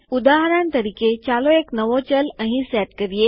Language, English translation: Gujarati, For example, lets set a new variable here